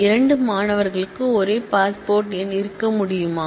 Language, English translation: Tamil, Can two students have same passport number